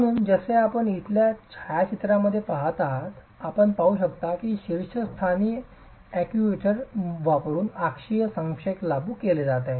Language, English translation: Marathi, So, as you see in the photograph here, you can see that axial compression is being applied using the actuator at the top